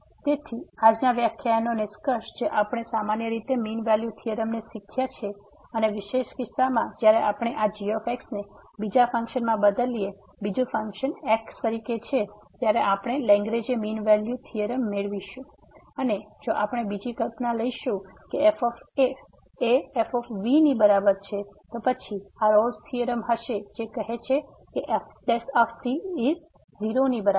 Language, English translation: Gujarati, So, the conclusion for today’s lecture that we have learnt the generalize mean value theorem and as a special case when we substitute this the other function the second function as , we will get the Lagrange mean value theorem and if we take another assumption that is equal to then this will be the Rolle’s theorem which says that prime is equal to , ok